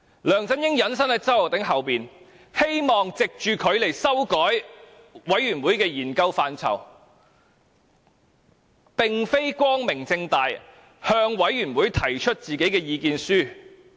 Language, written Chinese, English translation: Cantonese, 梁振英隱身於周浩鼎議員背後，希望藉着他來修改專責委員會的研究範疇，並非光明正大地向專責委員會提出自己的意見書。, LEUNG Chun - ying has hidden behind Mr Holden CHOW hoping to amend the scope of inquiry of the Select Committee through him instead of openly presenting his own submissions to the Select Committee